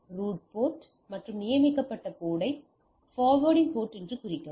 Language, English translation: Tamil, Now mark the root port and the designated port as the forwarding port